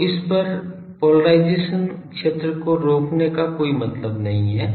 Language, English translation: Hindi, So, there is no point of preventing this cross polarized field